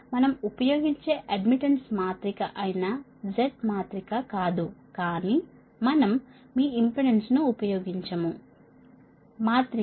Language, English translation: Telugu, that is admission admittance matrix we use, but we do not use your impedance right matrix, right z, we do not